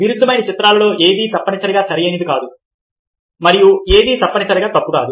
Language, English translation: Telugu, in paradoxical images, nothing is necessarily correct and nothing is necessarily incorrect